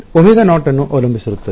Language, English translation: Kannada, depending upon omega naught